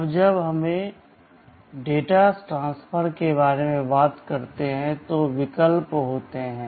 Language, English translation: Hindi, Now, when we talk about data transfer there are options